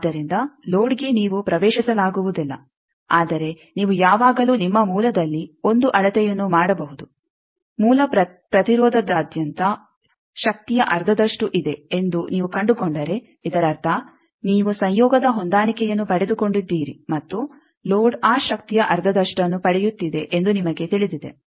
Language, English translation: Kannada, So, load is not accessible to you, but you can always make a measurement at your source that across the source resistance if you find that half of the power is there; that means, you know that you have got a conjugate match and load is getting half of that power